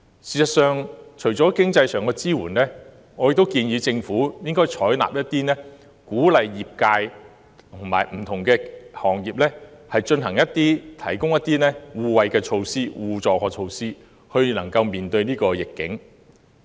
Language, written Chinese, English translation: Cantonese, 事實上，除了經濟上的支援，我亦建議政府應採納建議，鼓勵不同行業之間提供一些互惠互助的措施，以應對逆境。, In fact apart from financial support I also suggest the Government to adopt measures that encourage mutual assistance among different trades and industries in order to cope with the adversity